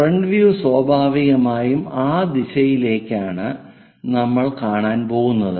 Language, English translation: Malayalam, The front view naturally towards that direction we are going to look